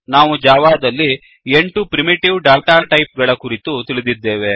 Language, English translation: Kannada, We know about the 8 primitive data types in Java